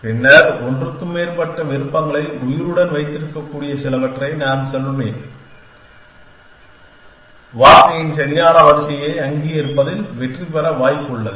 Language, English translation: Tamil, Then, I will go some which can keep more than one options alive is likely to succeed in recognizing the correct sequence of word